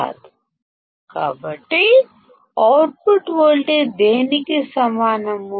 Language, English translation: Telugu, So, what will the output voltage be equal to